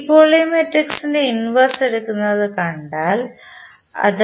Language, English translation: Malayalam, Now, if you see we are taking the inverse of this matrix that is sI minus A